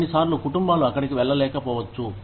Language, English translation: Telugu, Sometimes, families may not be able to go there